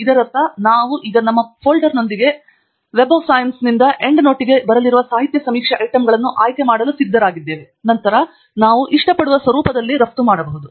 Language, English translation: Kannada, Which means that we are now ready with our folder to pick the literature survey items that are coming from Web of Science into End Note, following which we can then export in the format that we like